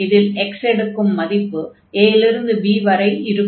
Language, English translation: Tamil, So, for x now the limits are from a to b